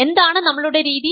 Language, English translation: Malayalam, What is our strategy